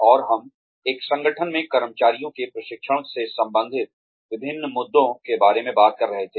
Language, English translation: Hindi, And, we were talking about, various issues related to training of employees, in an organization